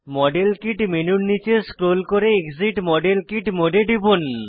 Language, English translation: Bengali, Scroll down the model kit menu and click exit model kit mode